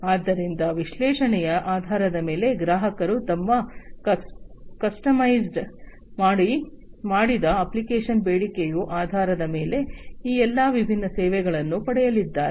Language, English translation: Kannada, So, based on the analytics, the customers based on their customized application demand are going to get all these different services